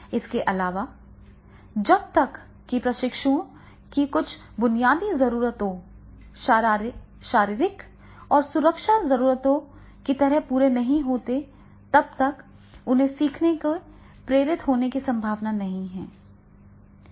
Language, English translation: Hindi, So, also certain basic needs of trainees, example, the physiological and safety needs are not met, they are unlikely to be motivated to learn